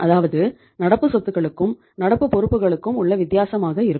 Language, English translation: Tamil, So it means we have the current assets and we have the current liabilities